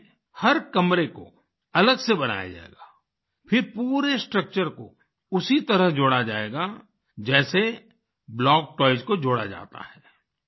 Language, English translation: Hindi, In this, every room will be constructed separately and then the entire structure will be joined together the way block toys are joined